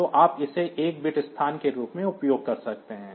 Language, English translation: Hindi, So, you can use it as A 1 bit location